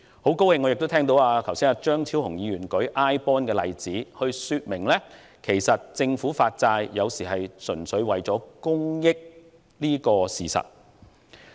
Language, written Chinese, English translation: Cantonese, 我很高興聽到張超雄議員剛才亦以 iBond 作為例子，說明有時候政府發債，純粹是為了公益這個事實。, I am so pleased to hear the example of government iBonds cited by Dr Fernando CHEUNG just now to illustrate the fact that in some cases the Government issues bonds purely for the common good